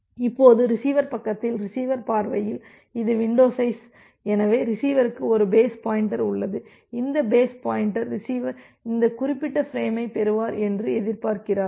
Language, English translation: Tamil, Now in the receiver side the this is the receiver view of the window size, so the receiver it also has a base pointer, this base pointer points that well the receiver is expecting to receive this particular frame